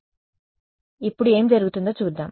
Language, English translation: Telugu, So, now, let us let us see what happens